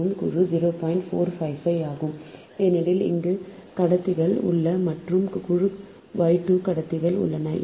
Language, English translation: Tamil, point four, five, five, because here three conductors are there and group y, two conductors are there